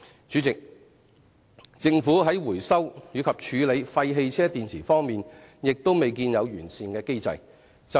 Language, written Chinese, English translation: Cantonese, 主席，政府在回收及處理廢汽車電池方面亦未見有完善的機制。, President the Government has not put in place a satisfactory mechanism for the recycling or disposal of waste car batteries either